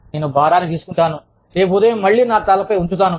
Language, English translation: Telugu, I will take the load, and put it on my head again, tomorrow morning